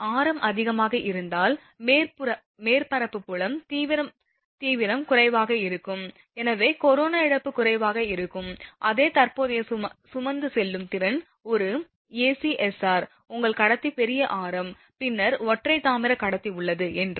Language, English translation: Tamil, So, that means, if radius is high the surface field intensity is less, hence corona loss is less; for the same current carrying capacity say an ACSR your conductor has larger radius then single copper conductor